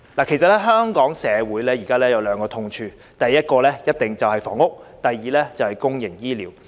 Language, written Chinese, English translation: Cantonese, 其實，香港社會現時有兩個痛處，第一個肯定是房屋，第二個就是公營醫療。, In fact there are currently two sores with Hong Kong society the first one is housing for sure; and the second is public health care